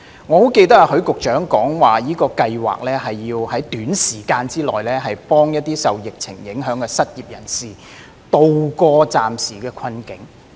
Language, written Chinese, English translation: Cantonese, 我很記得許局長曾經表示，這項計劃是要在短時間內幫助一些受疫情影響的失業人士渡過暫時的困境。, I clearly remember that Secretary Christopher HUI indicated that PLGS sought to help people who became unemployed because of the epidemic to tide over their interim difficulty within a short time